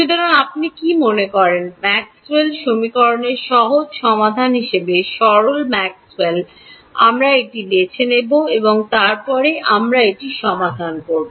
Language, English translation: Bengali, So, what do you think is the simplest Maxwell as a simply solution to Maxwell’s equations, we will pick that and then we will solve that